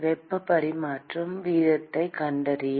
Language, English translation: Tamil, To find the heat transfer rate